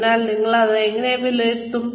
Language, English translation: Malayalam, So, how will you assess this